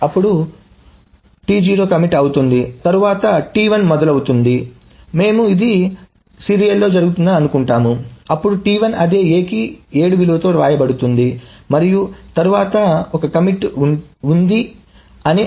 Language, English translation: Telugu, Then T1 starts, we are assuming this a serial, then there is a right of T1 to the same A with the value 7 and then there is a commit